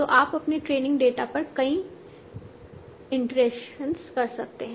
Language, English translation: Hindi, So you are doing multiple iterations over your training data